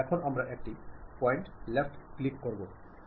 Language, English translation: Bengali, Now, what I have to do, give a left click on one of the point